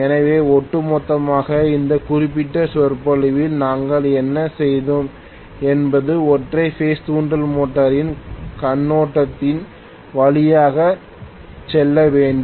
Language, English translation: Tamil, So on the whole what we had done in this particular lecture was to go through an overview of single phase induction motor